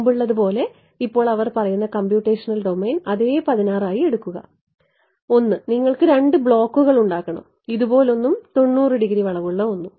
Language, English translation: Malayalam, Now same thing they say make the computational domain as before 16, 16 and you have to make two blocks; one like this and the one the 90 degree bend